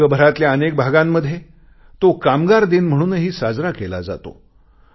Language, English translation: Marathi, In many parts of the world, it is observed as 'Labour Day'